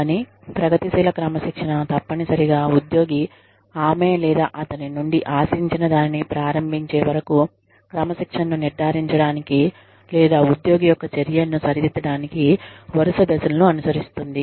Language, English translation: Telugu, But, progressive discipline essentially refers to, you following a series of steps, to ensure discipline, or to correct the actions of an employee, in such a way, that the employee starts doing, whatever is expected of her or him